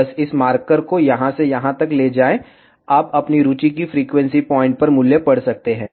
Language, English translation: Hindi, Just move this marker from here to here, you can read the value at the frequency point of your interest ok